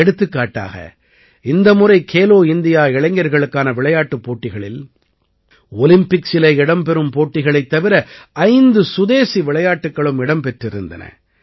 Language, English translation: Tamil, For example, in Khelo India Youth Games, besides disciplines that are in Olympics, five indigenous sports, were also included this time